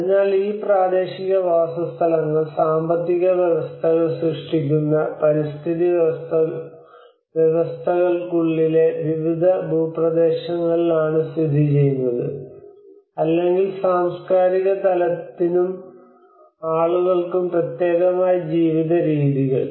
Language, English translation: Malayalam, So these vernacular settlements are located in different terrains within ecosystems creating economies, or ways of living particular to culture place and people